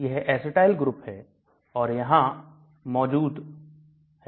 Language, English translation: Hindi, This is the acetyl group and that is present here